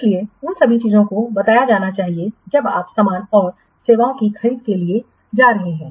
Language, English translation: Hindi, So all those things must be specified while you are going for what purchasing goods and services